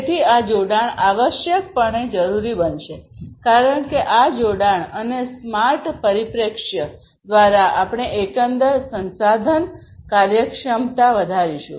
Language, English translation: Gujarati, So, this connectivity is essentially going to be required because through this connectivity and smart perspective; we are going to increase the overall resource efficiency